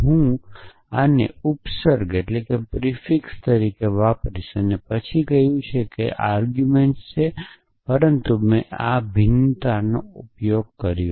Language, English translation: Gujarati, I would use this as the prefix and then said the arguments are, but I used so this variations